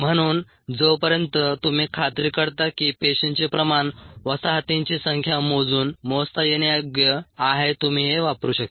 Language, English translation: Marathi, so, as long as you make sure that the cell concentration is measurable by ah counting the number of colonies, you could use this